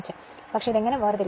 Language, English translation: Malayalam, But , buthow we will separate this right